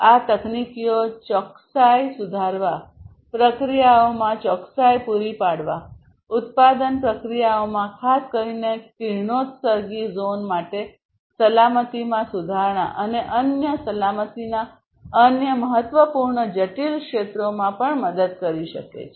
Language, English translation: Gujarati, These technologies can also help in improving the precision, providing precision in the processes, in the production processes, providing safety, improving the safety especially for radioactive zones, and different other you know safety critical zones